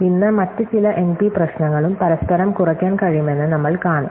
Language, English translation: Malayalam, Today, we will see that some other NP problems can also be reduced each other